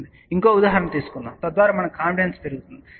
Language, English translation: Telugu, Let us take a one more example so that you know that our confidence gets built up